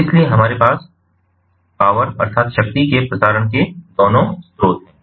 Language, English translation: Hindi, so we have both the sources of transmissions of power